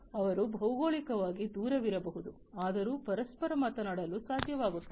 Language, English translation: Kannada, So, they might be geographically distant apart, but still they would be able to talk to each other